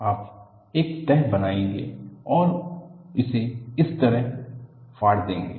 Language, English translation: Hindi, You will make a fold and tear it like this